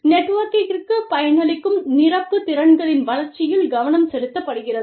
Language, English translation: Tamil, Focus is on the development of complementary skills, which will benefit the network